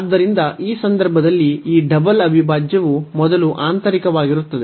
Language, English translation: Kannada, So, in this case this double integral will be first the inner one